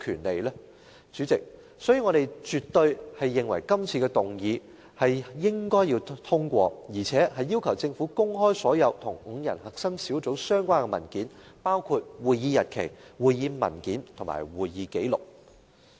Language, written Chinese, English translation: Cantonese, 所以，主席，我絕對認為這項議案應該獲得通過，而且要求政府公開所有與5人核心小組相關的文件，包括會議日期、會議文件和會議紀錄。, Therefore President I definitely think that this motion should be passed and I also urge the Government to make public all documents relating to the five - member core team including the days of meeting papers and minutes